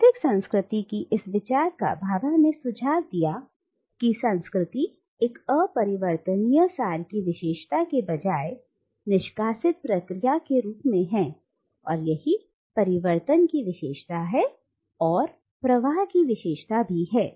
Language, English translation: Hindi, The alternative to this idea of a static culture that Bhabha suggests is that of culture as an ever unfolding process rather than being characterised by an unchangeable essence, it is characterised by change, it is characterised by flux, and it is characterised by transformation